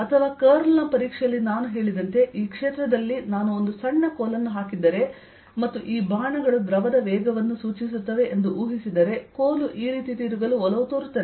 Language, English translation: Kannada, or, as i said, as a test of curl, if i put a small stick in this field and imagine these arrows indicate the velocity of a fluid, you will see that this will tend to rotate this way